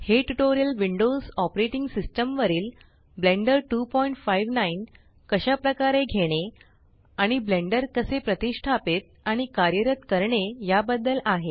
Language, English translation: Marathi, These tutorial is about getting blender 2.59 and how to install and run Blender 2.59 on the Windows Operating System